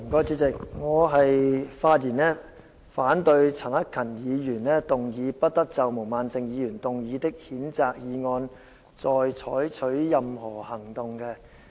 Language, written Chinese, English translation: Cantonese, 主席，我發言反對陳克勤議員提出的"不得就毛孟靜議員動議的譴責議案再採取任何行動"的議案。, President I speak against Mr CHAN Hak - kans motion on No further action shall be taken on the censure motion moved by Honourable Claudia MO